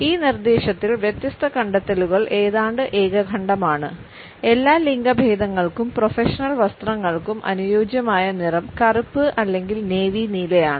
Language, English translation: Malayalam, Different findings are almost unanimous in this suggestion that the appropriate color for the professional attires for all genders is either black or navy blue